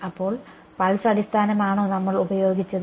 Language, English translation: Malayalam, So, pulse basis is what we used